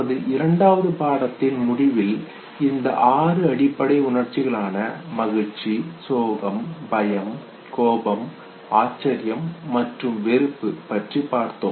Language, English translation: Tamil, So these six basic emotions which we finally arrive that towards the end of our second lecture happiness, sadness, fear, anger, surprise and disgust okay